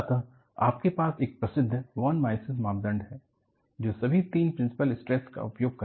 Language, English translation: Hindi, So, you have the famous von Mises criterion, which uses all the three principal stresses